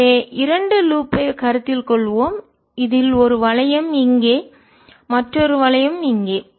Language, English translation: Tamil, so let's consider two loop, one loop in this and another loop here